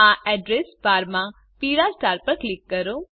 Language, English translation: Gujarati, In the Address bar, click on the yellow star